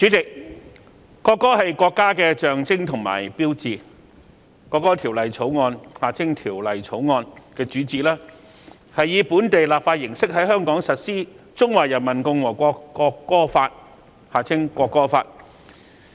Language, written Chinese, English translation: Cantonese, 主席，國歌是國家的象徵和標誌，《國歌條例草案》的主旨，是以本地立法形式在香港實施《中華人民共和國國歌法》。, President a national anthem is a symbol and sign of a country . The main purpose of the National Anthem Bill the Bill is to implement the Law of the Peoples Republic of China on the National Anthem in Hong Kong by local legislation